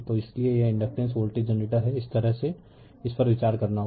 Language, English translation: Hindi, So, that is why it is inductance voltage generator this way you have to you consider it right